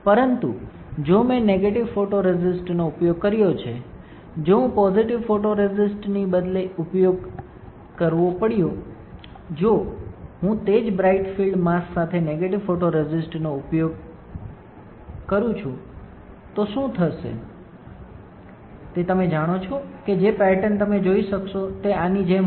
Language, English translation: Gujarati, But in case if I have used negative photoresist, if I have instead of using positive photoresist, if I use negative photoresist with the same bright field mask what will happen you know the pattern that you will be able to see will be like this